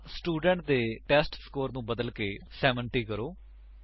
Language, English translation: Punjabi, Now, change the testScore of the student to 70